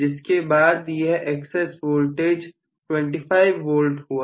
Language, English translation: Hindi, Now I may have an excess voltage of 25 V